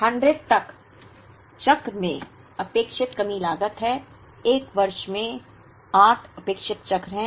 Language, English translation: Hindi, So, 100 is the expected shortage cost in a cycle, there are 8 expected cycles in a year